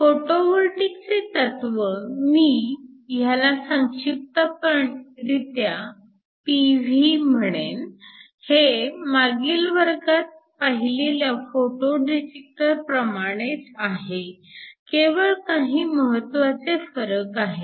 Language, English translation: Marathi, The principle of a photovoltaic, let me just abbreviate this as P V, is similar to the Photo detector that we looked at last class, they are just a few crucial differences